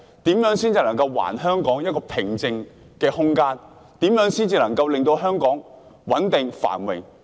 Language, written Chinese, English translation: Cantonese, 如何才能還香港一個平靜的空間，如何才能令香港穩定、繁榮？, How can we restore Hong Kong to a calm place? . How can we bring stability and prosperity to Hong Kong?